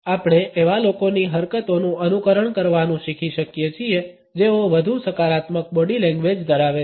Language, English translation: Gujarati, We can learn to emulate gestures of people who have more positive body language